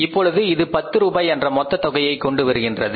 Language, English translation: Tamil, Now this makes the total is how much is 10 rupees